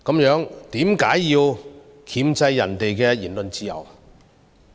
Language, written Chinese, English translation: Cantonese, 若是，為何要箝制別人的言論自由？, If so why do they suppress the freedom of speech of other people?